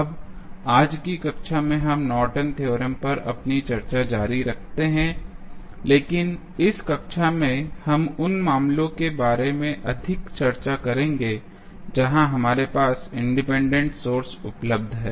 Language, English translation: Hindi, Now, in today's class we continue our discussion on Norton's theorem, but in this class we will discuss more about the cases where we have independent sources available in the circuit